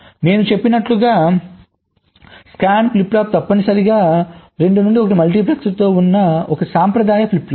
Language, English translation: Telugu, so, as i said, a scan flip flop is essentially a conventional flip flop with a two to one multiplexer before it